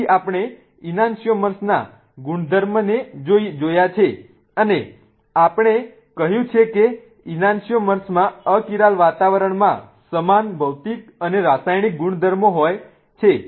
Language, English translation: Gujarati, So, we have looked at the properties of ananchomers and we have said that anantomers have identical physical and chemical properties in achyral environments